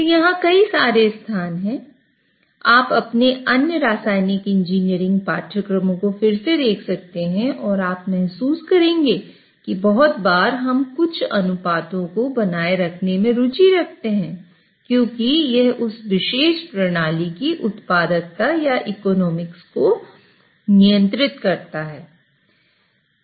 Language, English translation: Hindi, So, lot of places you can revisit your other chemical engineering courses and you will realize that lot of times we are interested in maintain certain ratios because that essentially governs the productivity or economics of that particular system